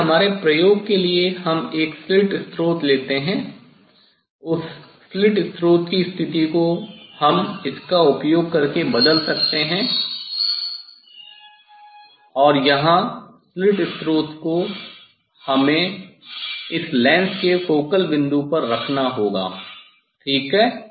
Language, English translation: Hindi, But for our experiment we take a sleeve source that sleeve source position we can change using this one and here the sleeve source, we have to put at the focal point of this lens ok, then we will get the parallel rays